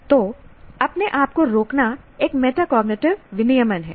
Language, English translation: Hindi, So, pausing itself is a metacognitive regulation